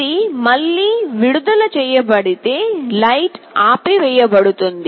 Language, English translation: Telugu, You see if it is released again light will turn off